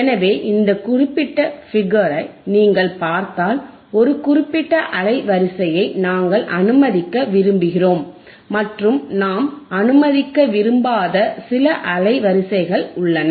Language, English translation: Tamil, So, if you see this particular figure, what we see is there is a certain band of frequencies that we want to allow and, certain band of frequencies that we do not want to allow